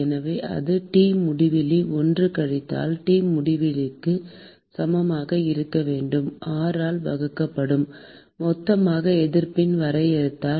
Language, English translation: Tamil, So, that should be equal to T infinity 1 minus T infinity 2 divided by R, total simply by the definition of the resistances